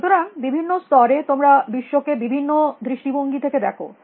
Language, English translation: Bengali, So, at different levels you see the world with a different perspective